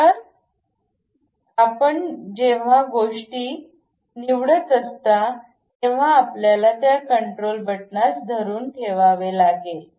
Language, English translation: Marathi, So, when you are picking the things you have to make keep hold of that control button